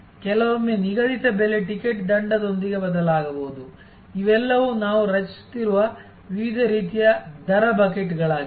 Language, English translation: Kannada, Sometimes a fixed price ticket may be changeable with a penalty, these are all different types of rate buckets that we are creating